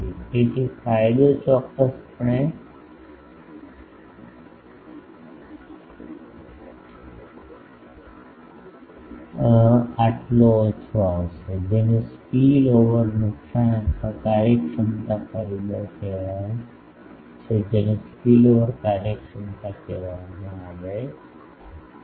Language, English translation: Gujarati, So, gain will definitely reduce so, that is called spillover loss and efficiency factor due to that is called spillover efficiency